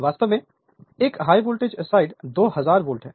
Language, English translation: Hindi, Actually high voltage side 2000 volt right; high voltage side is 2000 volt